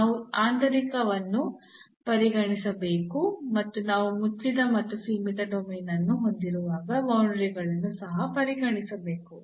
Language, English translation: Kannada, So, we have to consider the interior and we have to also consider the boundaries when we have a closed and the bounded domain